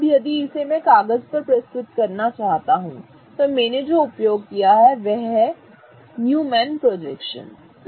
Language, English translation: Hindi, Now, if I want to represent it on paper, what I use is called as a Newman projection